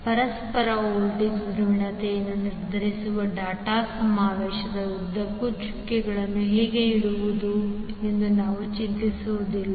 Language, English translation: Kannada, So we will not bother how to place them the dots are used along the dot convention to determine the polarity of the mutual voltage